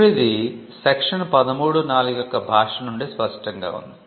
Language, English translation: Telugu, Now, this is clear from the language of section 13, now we have section 13 here